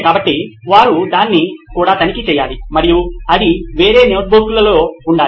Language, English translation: Telugu, So they’ll have to check that as well and that has to be in different notebook as well